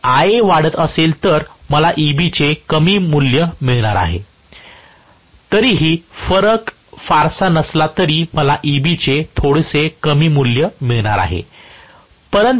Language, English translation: Marathi, If Ia is increasing, I am going to have less value of E b although the difference is not much still I am going to have a little bit less value of E b